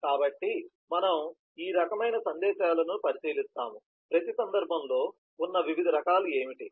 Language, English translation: Telugu, so we will take a look into each one of these types of messages, what are the different varieties that exist in every case